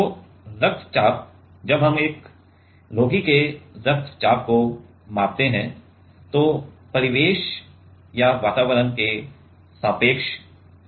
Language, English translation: Hindi, So, blood pressure while we measure a patient blood pressure that is relative to the ambient or the atmosphere, right